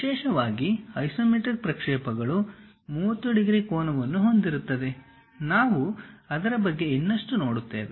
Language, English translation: Kannada, Especially isometric projections one of the lines makes 30 degrees angle on these sides; we will see more about that